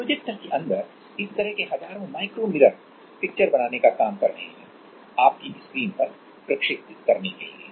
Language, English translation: Hindi, So, there are like thousands of this micro mirrors which are working inside a projector to make the picture projected on your screen